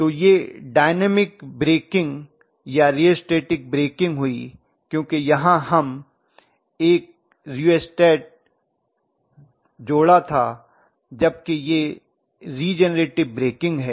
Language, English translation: Hindi, So this is dynamic breaking or rheostatic breaking because we were connecting a rheostat whereas this is regenerator breaking right